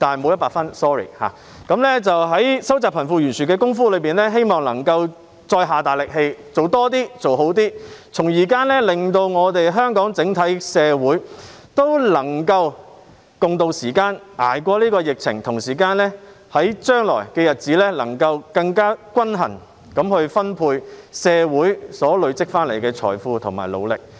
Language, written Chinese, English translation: Cantonese, 我希望政府能在收窄貧富懸殊方面再努力做得更多、做得更好，令香港整體社會能夠渡過時艱，捱過疫情，並在將來更平均地分配社會努力累積所得的財富。, I hope that the Government can work harder to do more and do better in narrowing the disparity between the rich and the poor so that the whole community of Hong Kong can ride out the hard times and survive this epidemic; and in the future there will be a fairer distribution of the wealth generated by the hard work of the community